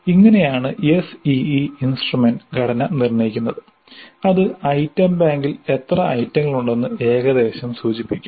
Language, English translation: Malayalam, So, this is how the SE instrument structure is determined and that will indicate approximately how many items we should have in the item bank